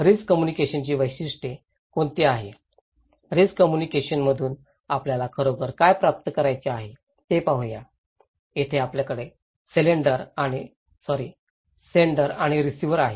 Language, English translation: Marathi, Let us look what are the objectives of risk communications, what we really want to achieve from risk communication, where here is so we have sender and the receiver